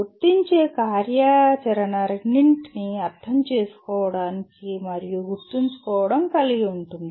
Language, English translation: Telugu, Apply activity will involve or likely to involve understand and remember both